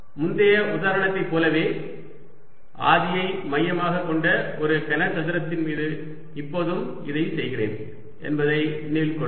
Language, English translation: Tamil, remember now i am doing it over a cube which is centred at the origin, like the previous example